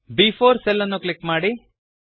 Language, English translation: Kannada, Click on the cell B4